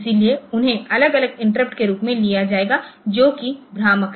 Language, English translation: Hindi, So, they will be taken as separate interrupts so which is misleading ok